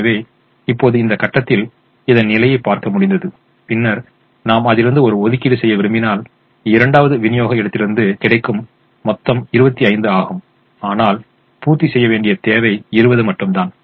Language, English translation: Tamil, so now we look at this position and then we observe that if we want to make an allocation, the of total available from the second supply point is twenty five, that the requirement that has to be met is twenty